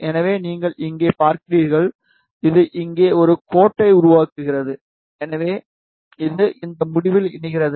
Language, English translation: Tamil, So, you see here, it is creating a line over here, so it is connecting at this end